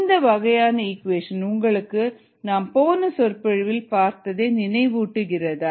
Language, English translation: Tamil, does this form of the equation remind you are something that we saw in the previous lecture